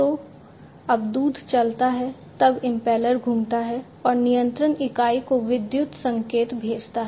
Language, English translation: Hindi, So, impeller spins when the milk moves and sends the electrical signal to the control unit